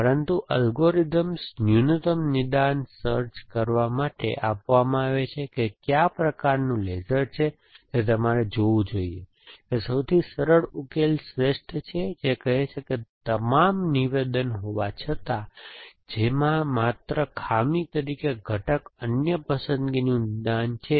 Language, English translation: Gujarati, But, the algorithms are given towards finding minimal diagnosis which kind of is a laser that you must heard out the simplest solution are the best which says that all though diagnosis in which only component as faulty is other preferred diagnosis